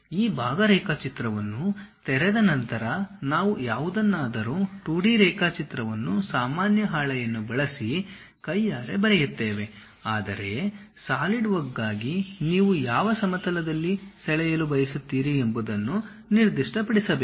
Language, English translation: Kannada, After opening this part drawing, if we want to draw anything if it is a 2D sheet what manually we draw, we have a sheet normal to that we will draw anything, but for Solidwork you have to really specify on which plane you would like to draw the things